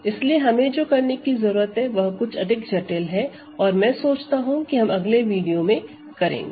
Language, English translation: Hindi, So, what we need to do is something slightly more subtle and we will do this later in a couple of in the next video I think ok